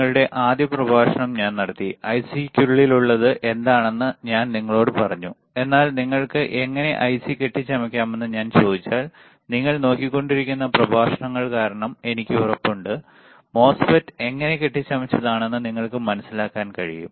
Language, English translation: Malayalam, I took your first lecture and I told you what is within the IC, but, but you if you if I ask you, how you can fabricate the IC, I am sure now because of the because of the lectures that you have been looking at, you are able to understand how MOSFET is fabricated